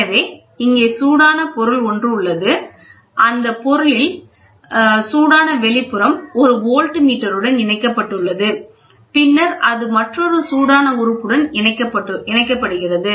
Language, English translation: Tamil, So, here is a heated one, the output of the heated one is attached to a voltmeter, and then it is attached to another heated element